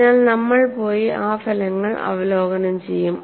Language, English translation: Malayalam, So, we will go and review those results